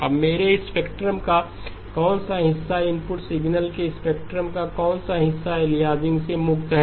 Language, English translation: Hindi, Now what portion of my spectrum, what portion of the input signal spectrum is free from aliasing